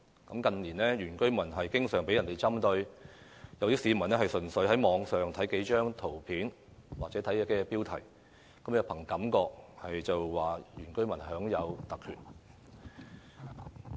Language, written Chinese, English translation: Cantonese, 新界原居民近年經常被針對，有市民單憑在網上看到的一些圖片或標題，便憑感覺指原居民享有特權。, When members of the public see certain pictures or headings on the Internet they intuitively think that indigenous villagers are given special privileges